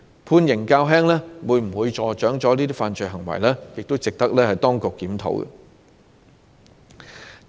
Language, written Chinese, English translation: Cantonese, 判刑較輕會否助長這些犯罪行為，亦值得當局檢討。, It is worth exploring whether the imposition of a relatively light sentence would induce such unlawful acts